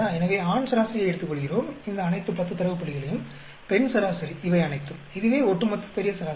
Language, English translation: Tamil, So, we take the male average, all these 10 data points; female average, all these; over all grand average is this